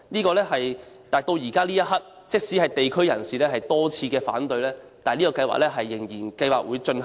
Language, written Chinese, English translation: Cantonese, 然而，到目前這一刻，即使地區人士多次反對，外判計劃仍然會進行。, However even now despite opposition repeatedly voiced by the locals the outsourcing plan will continue to be taken forward